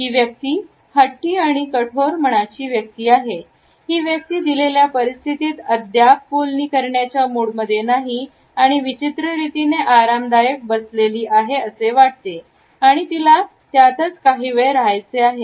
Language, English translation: Marathi, This person comes across is a stubborn and tough minded person; a person who is not in a mood to negotiate yet in the given situation feels strangely relaxed and wants to stay in this situation for a little while